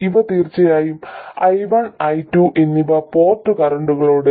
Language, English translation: Malayalam, And these are of course the port currents I1 and I2